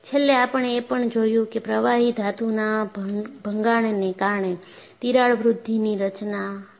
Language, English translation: Gujarati, Finally, we also looked at, what is the crack growth mechanism due to liquid metal embrittlement